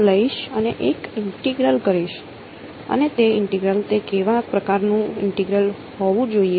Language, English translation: Gujarati, 2D integral right, so this is going to be an integral over S d s , what kind of S should it be